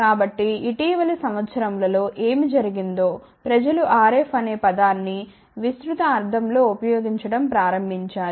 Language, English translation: Telugu, So, what has happen in the recent years people have started using the term RF in broad sense